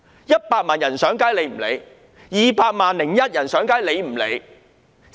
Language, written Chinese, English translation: Cantonese, 100萬人上街，她不理會 ；"200 萬加 1" 人上街，她不理會。, One million people took to the streets and she disregarded them; 2 million plus one people took to the streets and she disregarded them